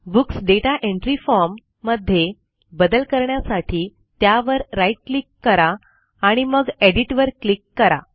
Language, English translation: Marathi, And open the Books Data Entry form for modifying, by right clicking on it and then choosing edit